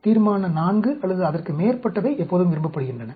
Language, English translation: Tamil, Resolution IV or above are always liked